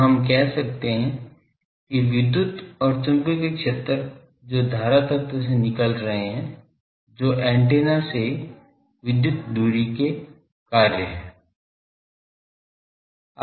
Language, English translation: Hindi, So, we can say that electric and magnetic fields that is coming out from the current element those are functions of the electrical distance of the antenna, from the antenna